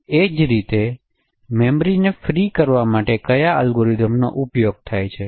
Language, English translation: Gujarati, Similarly what are the algorithms used for freeing the memory